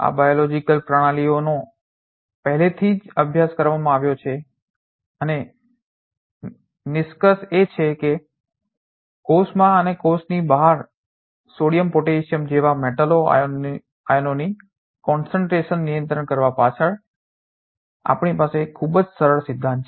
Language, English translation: Gujarati, These are the lot of biological system being already studied and conclusion being that we have very simple principle behind controlling the concentration of metal ions such as sodium potassium in the cell and outside the cell